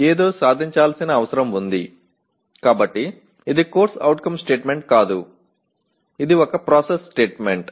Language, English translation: Telugu, A something needs to be attained, so this is a process statement rather than a CO statement